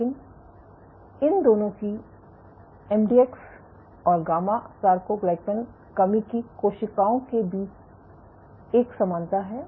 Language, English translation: Hindi, But there is a commonality between MDX and gamma soarcoglycan deficient cells across both of these